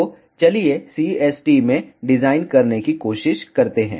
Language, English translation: Hindi, So, let us try to design in CST